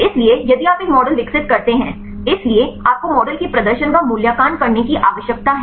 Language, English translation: Hindi, So, if you develop a model; so you need to evaluate the performance of the model